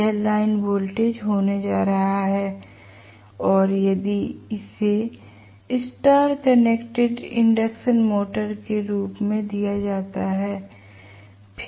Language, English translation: Hindi, This is going to be the line voltage and if it is given as y connected induction motor